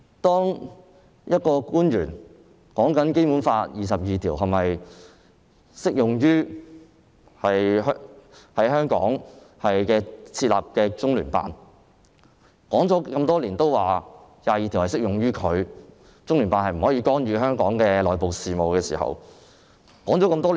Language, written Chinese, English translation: Cantonese, 就有官員談《基本法》第二十二條是否適用於在香港設立的中聯辦的問題，政府多年來都表示，第二十二條適用於中聯辦，中聯辦不能干預香港的內部事務。, Regarding a government officials statement concerning whether Article 22 of the Basic Law is applicable to LOCPG established in Hong Kong the Government has been saying over the years that Article 22 is applicable to LOCPG and LOCPG should not interfere in the internal affairs of Hong Kong